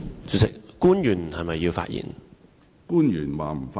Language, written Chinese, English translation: Cantonese, 主席，是否有官員要發言？, Chairman does any public officer want to speak?